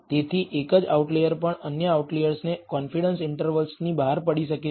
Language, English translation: Gujarati, Therefore, even a single outlier can cause other outliers to fall outside the confidence interval